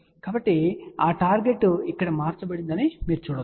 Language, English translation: Telugu, So, you can see that target is shifted here